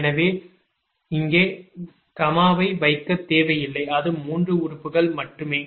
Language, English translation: Tamil, so no need to put comma here